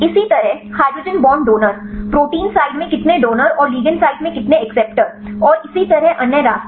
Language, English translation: Hindi, Likewise hydrogen bond donator donor, how many donors in the protein side and how many acceptors in the ligand side and so, other way around